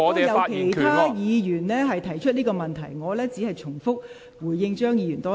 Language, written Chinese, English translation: Cantonese, 剛才已有其他議員提出這個問題，我現在再回應張議員一次。, Other Members have raised this issue just now . I now give a response to Dr CHEUNG once again